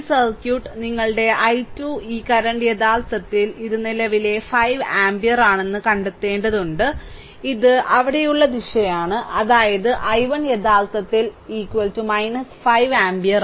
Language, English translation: Malayalam, So, this is the circuit you have to find out your i 2 look this current actually this current 5 ampere, this is it is this direction it is there right, but we have taken your this way we have taken right that means i 1 actually is equal to minus 5 ampere